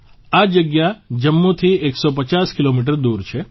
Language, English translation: Gujarati, This place is a 150 kilometers away from Jammu